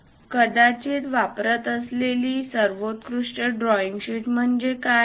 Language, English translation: Marathi, What is the best drawing sheet one should use